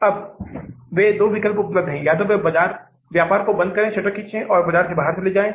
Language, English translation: Hindi, Now they have two options available, either to close down the business, pull the shutters and go out of the market